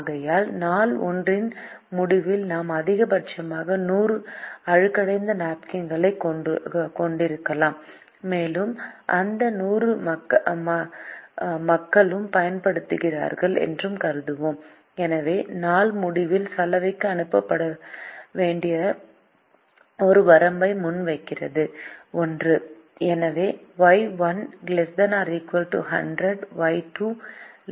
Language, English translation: Tamil, this is because the demand for day one is hundred and therefore at the end of day one we can have a maximum of hundred soiled napkins and we will assume that all these hundred are used by the people and therefore poses a limit on what can be sent to the laundry at the end of day one